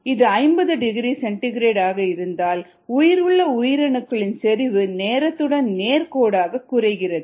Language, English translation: Tamil, if it is at fifty degree c, then the viable cell concentration decreases linearly with time